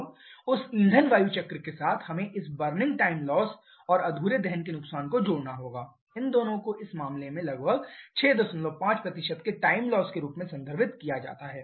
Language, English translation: Hindi, Now with that fuel air cycle we have to add this burning time loss and incomplete combustion loss these 2 together can be referred as a time loss of about 6